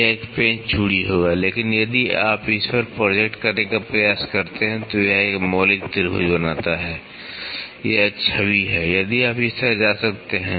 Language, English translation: Hindi, This will be a screw thread, but if you try to project at it forms a fundamental triangle, it is an image so, if you can go like this